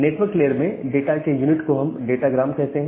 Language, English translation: Hindi, So, in network layer we call the unit of data as the datagram